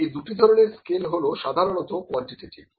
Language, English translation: Bengali, These two kinds of scales are generally quantitative, ok